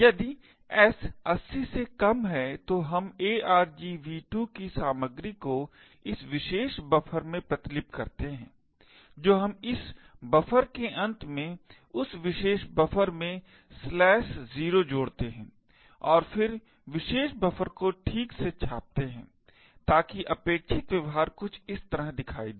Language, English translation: Hindi, If s less than 80 then we copy the contents of argv2 into this particular buffer we add slash 0 to that particular buffer at the end of this buffer and then print the particular buffer okay so the expected behaviour would look something like this